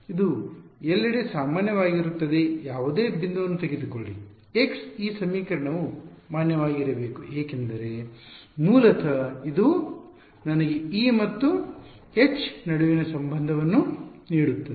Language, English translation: Kannada, It is valid everywhere take any point x this equation should be valid because basically it is giving me the relation between E and H right